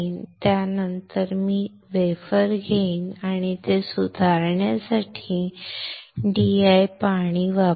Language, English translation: Marathi, After that I will take the wafer and use DI water to rinse it